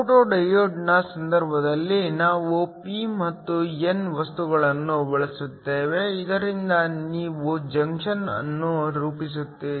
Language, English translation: Kannada, In the case of a photo diode, we use a p and n material so that you form a junction